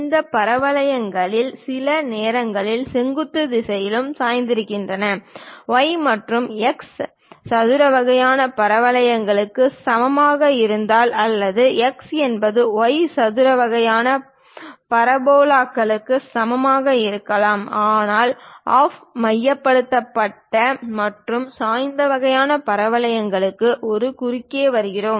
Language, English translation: Tamil, These parabolas sometimes might be inclined on the vertical direction also; it may not be the y is equal to x square kind of parabolas or x is equal to y square kind of parabolas, but with off centred and tilted kind of parabolas also we will come across